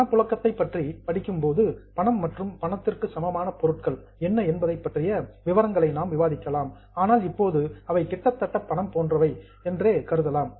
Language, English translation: Tamil, we study cash flow, we will go into details about what is cash and cash equivalent, but right now you can just assume it that it's more or less like a cash